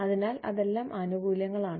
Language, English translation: Malayalam, So, those are all the perks